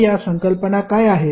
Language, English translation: Marathi, So, what are those concepts